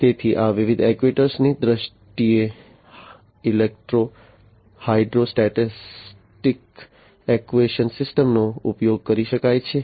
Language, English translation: Gujarati, So, in terms of these actuators different actuators could be used electro hydrostatic actuation system